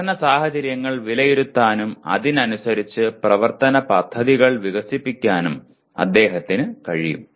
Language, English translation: Malayalam, He can also assess learning situations and develop plans of action accordingly